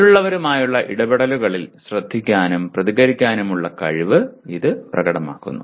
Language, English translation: Malayalam, And it also demonstrated by ability to listen and respond in interactions with others